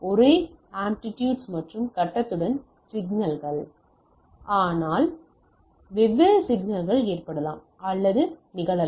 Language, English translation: Tamil, Signals with same amplitude and phase, but different frequency may or happens